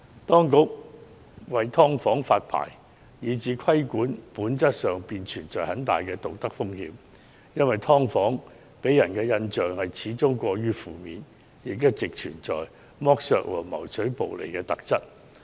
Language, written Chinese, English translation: Cantonese, 當局為"劏房"發牌以至規管，本質上會帶來很大的道德風險，因為"劏房"給人的印象始終過於負面，亦一直具有剝削和謀取暴利的特質。, A licensing system for regulating subdivided units introduced by the authorities will in essence give rise to serious moral hazard because after all the perceptions on subdivided units which have long been carrying exploitative and profiteering features are terribly negative